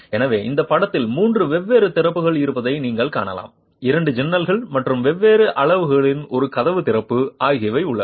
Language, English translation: Tamil, So, you can see that in this figure there are three different openings, there are two windows and one door opening of different sizes, each of them is of a different size